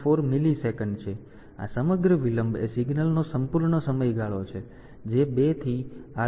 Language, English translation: Gujarati, 274 millisecond, the whole delay is the whole time period of the signal is 2 into 38